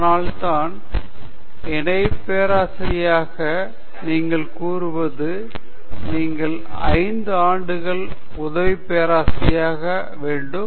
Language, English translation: Tamil, That’s why they say to become Associate Professor you have to Assistant Professor for 5 years